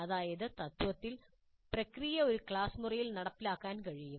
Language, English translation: Malayalam, That means in principle the process can be implemented in a classroom